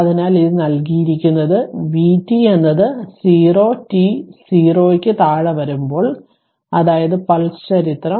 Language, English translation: Malayalam, So, it is it is given vt is 0 for t less than 0 that is pulse history